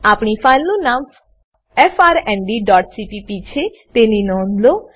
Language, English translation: Gujarati, Note that our filename is frnd.cpp Let me explain the code now